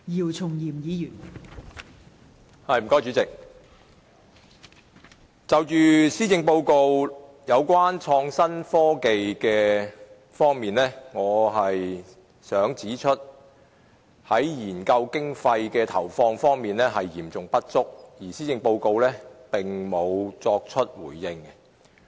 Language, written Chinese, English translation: Cantonese, 代理主席，在創新科技方面，我想指出政府的研究經費投放嚴重不足，而施政報告並未就此作出回應。, Deputy President regarding innovation and technology I would like to point out that the Governments research funding is gravely insufficient and the Policy Address has not responded to this issue